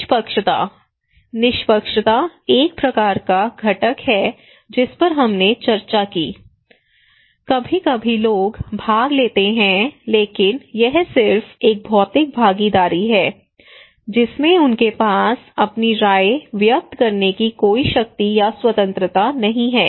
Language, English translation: Hindi, Fairness: fairness is a kind of component that we discussed that we are saying that okay is sometimes people participate but it is just a physical participations they do not have any power or the freedom to express their own opinions